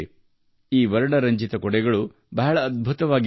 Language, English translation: Kannada, These colourful umbrellas are strikingly splendid